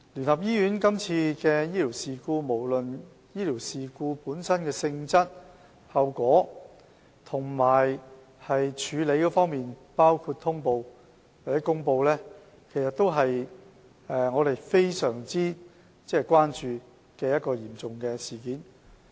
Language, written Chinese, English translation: Cantonese, 關於今次聯合醫院的醫療事故，無論是醫療事故本身的性質、後果和處理，包括通報或公布，也是我們非常關注的嚴重事件。, As to UCHs clinical incident this time around no matter its nature consequence and handling including the notification and announcement is a sentinel event that we concern very much